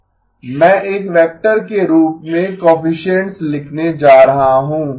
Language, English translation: Hindi, I am going to write the coefficients as a vector